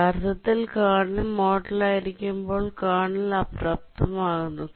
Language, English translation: Malayalam, Actually, the kernel disables when in the kernel mode